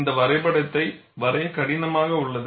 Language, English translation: Tamil, And this picture is easier to draw